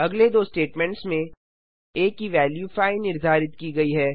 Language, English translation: Hindi, In the next two statements, a is assigned the value of 5